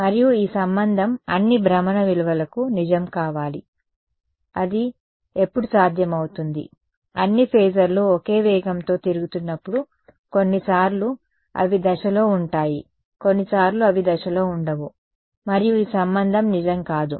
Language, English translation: Telugu, And this relation should be true for all values of rotation, when will that be possible, when all the phasors are rotating at the same speed otherwise sometimes they will be in phase, sometimes they will not be in phase and this relation will not be true